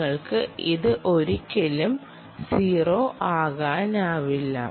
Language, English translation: Malayalam, you can never get it to zero